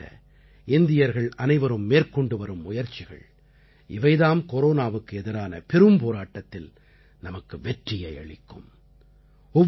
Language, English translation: Tamil, The steps being taken by Indians to stop the spread of corona, the efforts that we are currently making, will ensure that India conquers this corona pandemic